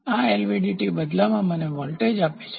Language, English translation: Gujarati, This LVDT in turn gives me voltage